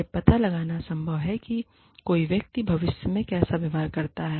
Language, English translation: Hindi, It is not possible to find out, how a person will behave, in future